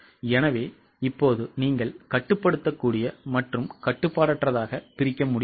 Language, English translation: Tamil, So, now can you break down into controllable and uncontrollable